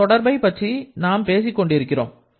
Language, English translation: Tamil, This is the relation that we are talking about